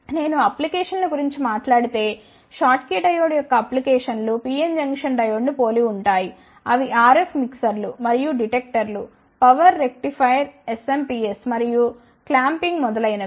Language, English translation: Telugu, If I talk about the applications so, the applications of the schottkey diode is similar to the pn junction diode they are used in RF mixers and detectors, power rectifier SMPS and clamping etcetera